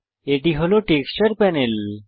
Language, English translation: Bengali, This is the Texture Panel